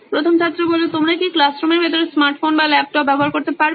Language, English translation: Bengali, Do you guys have any sort of access to smartphones or laptops inside the classroom